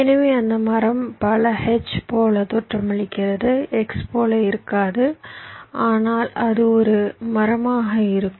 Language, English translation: Tamil, many look like h, may not look like x, but it will be a tree nevertheless